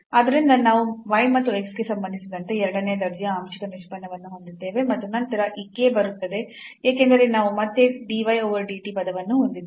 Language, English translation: Kannada, So, we have the second order partial derivative with respect to y and x and then this k will come because we have dy over dt term again